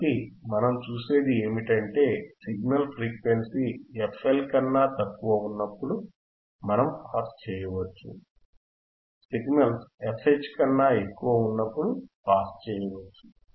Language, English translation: Telugu, So, what we see is, when we have signals which are below f L, we cannot we can pass, when the signals are above f H we can pass